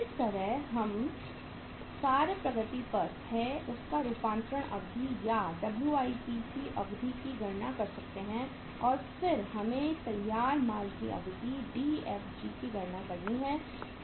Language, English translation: Hindi, This is how we can calculate the work in process conversion period or duration of the WIP and then we have to calculate the Dfg duration of the finished goods